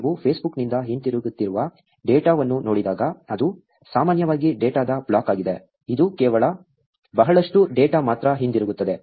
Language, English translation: Kannada, When you look at the data that is coming back from Facebook, it is generally a block of data; it is just a lot of data that comes back